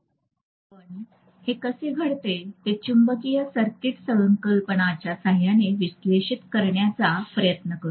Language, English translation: Marathi, So we call this whatever is the behaviour we try to analyze it by the help of magnetic circuit concepts